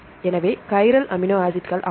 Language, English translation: Tamil, So, are chiral amino acids